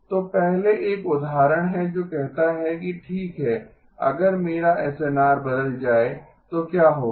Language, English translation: Hindi, So first is an example which says that okay what happens if my SNR changes